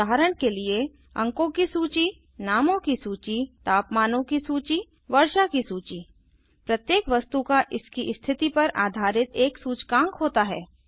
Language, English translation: Hindi, For example, a list of marks, a list of names, a list of temperatures, a list of rainfall, Each item has an index based on its position